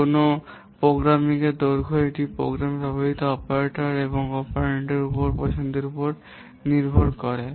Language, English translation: Bengali, The length of a program it will depend on the choice of the operators and operands used in the program